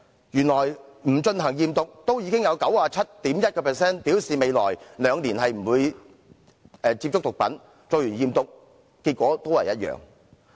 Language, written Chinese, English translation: Cantonese, 即使不進行驗毒，也有 97.1% 的學生表示未來兩年不會接觸毒品，而且驗毒結果都是一樣。, Even without drug testing 97.1 % of the students said they would not take drugs in the coming two years and the results of drug testing were the same